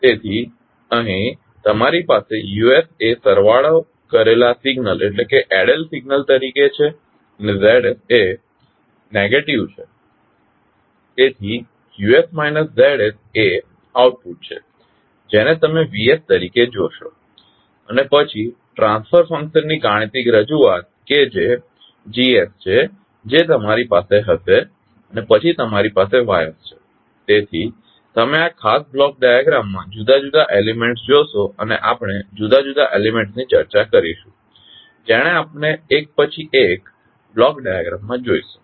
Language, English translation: Gujarati, So here you have Us as an added signal and Zs is a negative, so Us minus Zs is the output which you will see as Vs and then the mathematical representation of the transfer function that is Gs you will have and then you have the Ys, so you will see different elements in this particular block diagram and we will discuss the different elements which we will see in the block diagram one by one